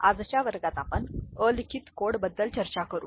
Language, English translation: Marathi, In today’s class we shall discuss Unweighted Code